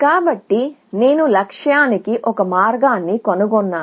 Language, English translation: Telugu, So, I have found one path to the goal